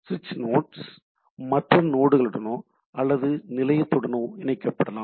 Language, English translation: Tamil, So, switching nodes may connect to other nodes or to some station